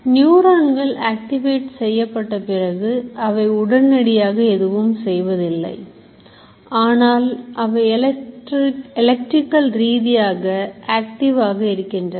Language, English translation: Tamil, So, neurons, once they get activated, they remain, they may not be firing, they may not be achieving anything, but they are electrically active